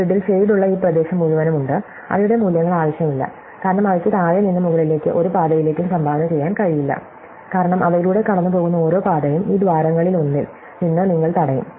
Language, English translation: Malayalam, So, there is this entire shaded region in this grid whose values are not needed because they cannot contribute to any path from, from the bottom to the top because every path going through them, you get blocked by one of these holes, right